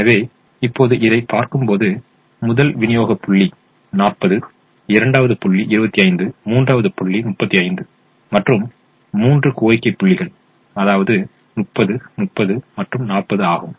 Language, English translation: Tamil, so now, when we look at this, we observe that the first supply point has forty, second has twenty five, the third has twenty five and the three demands are thirty, thirty and forty